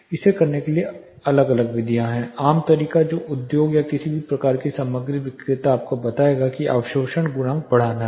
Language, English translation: Hindi, There are different methods to do it common method which industry you know any you know kind of material seller would tell you is to go for an increased absorption coefficient